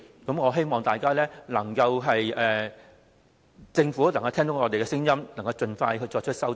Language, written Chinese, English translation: Cantonese, 我希望政府能聽到我們的聲音，盡快作出修正。, I hope the Government can hear our voices and make rectifications as soon as possible